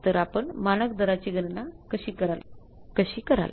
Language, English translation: Marathi, So, how will calculate the standard rate